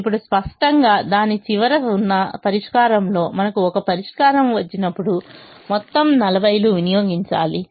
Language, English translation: Telugu, now, obviously, in the solution, at the end of it, when we get a solution, all the forty has to be consumed